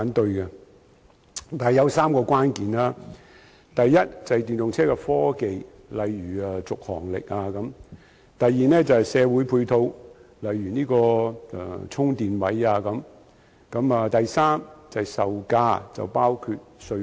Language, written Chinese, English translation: Cantonese, 但是，當中有3個關鍵，第一是電動車科技，例如續航力；第二是社會配套，例如充電位；第三是售價，包括稅項。, However three crucial factors are involved namely the technology of electric vehicles such as their travelling range; the provision of ancillary facilities such as chargers; and the selling prices of electric vehicles including taxation arrangements